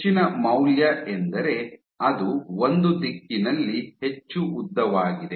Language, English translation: Kannada, So, the higher the value means it is more elongated in one direction